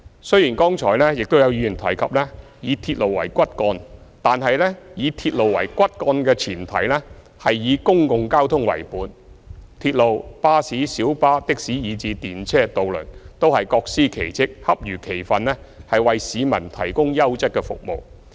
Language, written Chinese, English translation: Cantonese, 雖然剛才有議員提及以鐵路為骨幹，但是以鐵路為骨幹的前提，是以公共交通為本，鐵路、巴士、小巴、的士以至電車和渡輪，都是各司其職，恰如其分地為市民提供優質服務。, While some Members spoke about using railways as the backbone the prerequisite for it is a public transport - based system with railways buses minibuses taxis trams and ferries performing their roles properly to provide people with quality service